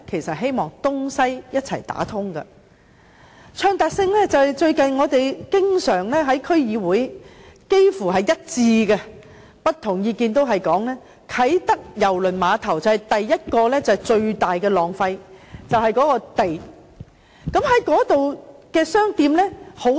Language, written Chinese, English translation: Cantonese, 說到暢達性，我們最近在區議會幾乎達成一致的意見，也就是不同意見也提到，啟德郵輪碼頭最大的浪費便是土地。, On the subject of accessibility we have recently come to an almost unanimous opinion in the District Council that as stated in various views the greatest waste of the Kai Tak Cruise Terminal is land